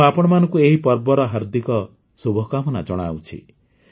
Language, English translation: Odia, I extend warm greetings to all of you on these festivals